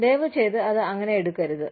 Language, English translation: Malayalam, Please, do not take it, that way